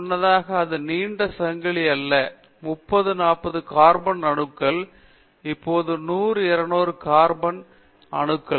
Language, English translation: Tamil, Previously it was not so long a chain, but previously also long chain, but 30 40 carbon atoms, now 100 200 carbon atoms